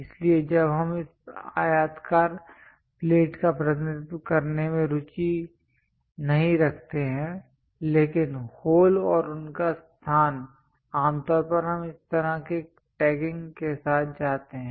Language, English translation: Hindi, So, when we are not interested to represent this rectangular plate, but holes and their location, usually we go with this kind of tagging